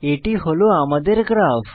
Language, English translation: Bengali, Here is my graph